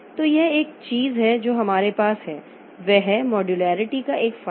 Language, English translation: Hindi, That is one advantage of modularity